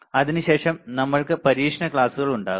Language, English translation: Malayalam, After that we will have the experiment classes